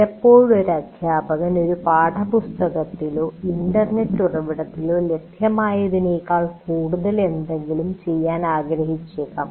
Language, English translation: Malayalam, And sometimes a teacher may want to do something more than what is available in a textbook or internet source